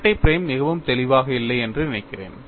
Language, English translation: Tamil, I think the double prime is not very clear